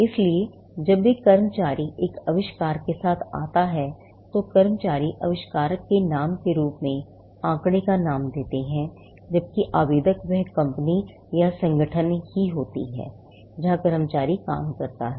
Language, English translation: Hindi, So, when an employee comes with an invention, the employees name figures as the inventor’s name, whereas, the applicant will be the company itself; company or the organization to where the employee works